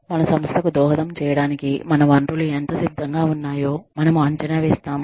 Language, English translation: Telugu, Then, we find out, how prepared our resources are, to contribute to the organization